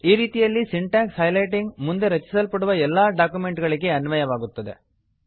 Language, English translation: Kannada, In this way, syntax highlighting will be applied to all documents created in the future